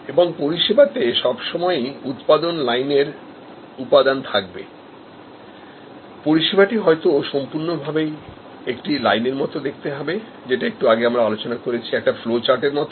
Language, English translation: Bengali, And there will be always production line components in the service, but the whole service maybe very much like a line that we discussed a little while back, it is a flow chart